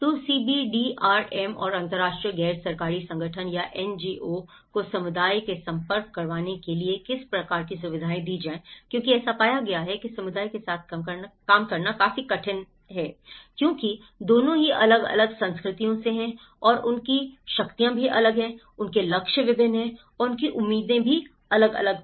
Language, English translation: Hindi, So, how to facilitate the CBDRM; the entry points, an international NGO when they try to approach the community, it was very difficult to work with the community because both are from different cultures and different power setups and different targets and different expectations